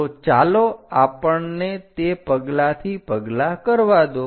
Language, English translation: Gujarati, So, let us do that step by step, ok